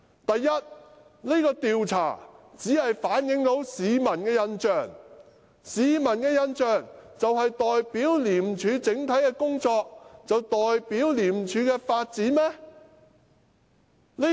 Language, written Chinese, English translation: Cantonese, 第一，這項調查只反映市民的印象，難道市民的印象就代表廉署整體的工作和發展？, For one thing the survey reflects only the public impression . Is the public opinion in any way representative of the overall efforts and development of ICAC?